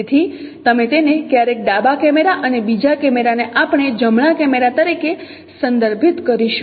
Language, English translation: Gujarati, So we will also sometimes refer it as left camera and the second camera will refer it as right camera